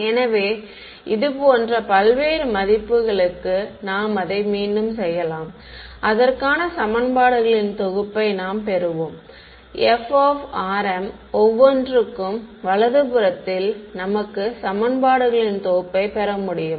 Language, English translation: Tamil, So, like this you can repeat it for various values of r m and you will get a set of equations for every f of r m on the right hand side you get a set of equations